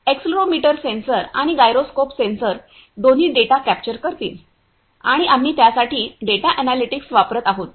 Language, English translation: Marathi, The accelerometer sensor and gyroscope sensor both will capture the data and we are using that data analytics for that I will explain that